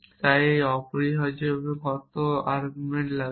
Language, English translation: Bengali, So how many arguments it take essentially